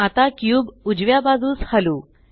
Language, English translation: Marathi, Now lets move the cube to the right